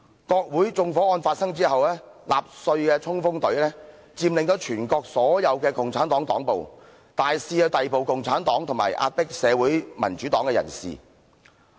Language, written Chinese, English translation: Cantonese, 國會發生縱火案後，納粹黨衝鋒隊佔領了全國的所有共產黨黨部，大肆逮捕共產黨和壓迫社會民主黨人士。, After the arson attack at the Parliament building the Storm Troopers of the Nazi Party occupied all the bases of the Communist Party in the country and mounted massive arrest operations against members of the Communist Party while oppressing members of the Social Democratic Party